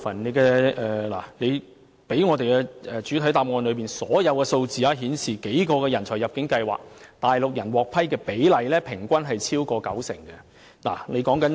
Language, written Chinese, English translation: Cantonese, 根據局長在主體答覆提供的數字，在數個人才入境計劃下，內地居民獲批的比例平均超過九成。, As shown by the Secretarys statistics in the main reply on average over 90 % of the applications approved under the various talent admission schemes were from Mainland people